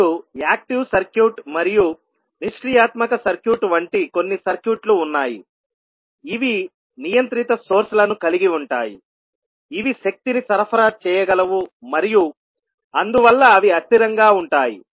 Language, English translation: Telugu, Now there are certain circuits like active circuit and passive circuit which contains the controlled sources which can supply energy and that is why they can be unstable